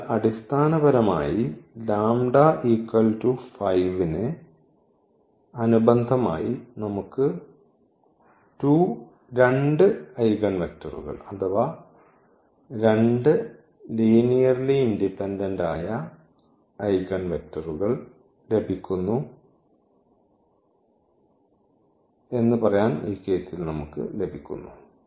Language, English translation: Malayalam, So, basically corresponding to lambda is equal to 5 we are getting 2 eigenvectors or rather to say 2 linearly independent eigenvectors, we are getting in this case